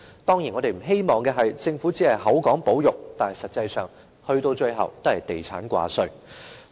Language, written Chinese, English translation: Cantonese, 當然，我們不希望政府只是口說保育，但實際上，到最後也是地產掛帥。, We certainly do not want conservation to be sheer empty talk voiced by the Government as an excuse for real estate - driven development